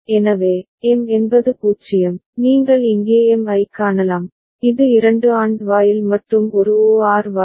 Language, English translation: Tamil, So, M is 0, you can see M here, this is two AND gate and one OR gate